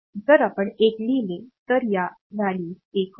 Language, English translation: Marathi, So, if we write a 1 then these value becomes 1